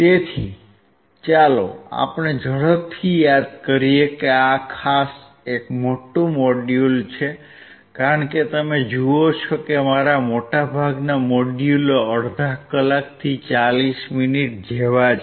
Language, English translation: Gujarati, So, let us quickly recall about this particular is a big, big module as you see most of my modules are like half an hour to 40 minutes this is more than 1 hour, right